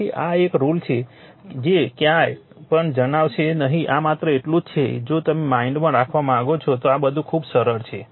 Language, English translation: Gujarati, So, this is one this rule will not tell to anywhere right this is just to if you want keep it your mind, then you will find things are very simple right